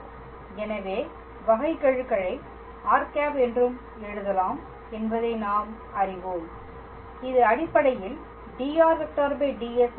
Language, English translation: Tamil, So, we know that derivative can also be written as r dot and this one is basically dr ds